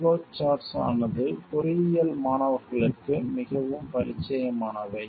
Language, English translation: Tamil, Flow charts are very familiar to engineering students